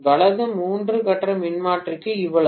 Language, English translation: Tamil, Right So much so for three phase transformer